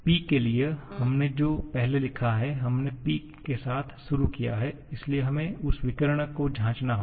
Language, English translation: Hindi, For P, the first one that we have written, we have started with P so we have to check the diagonal to that